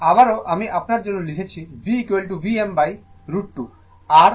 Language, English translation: Bengali, So, once again i am writing for you V is equal to V m by root 2